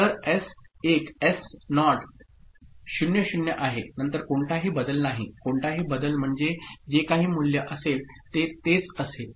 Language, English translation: Marathi, So, S1 S naught being 00 then there is no change; no change means whatever is the value it will be the same right